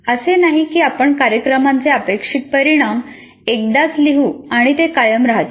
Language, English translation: Marathi, So it is not as if you write the program outcomes once and they are permanent